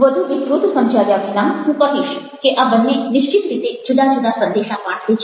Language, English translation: Gujarati, without elaborating much, i must say that ah, these two definitely conveyed different messages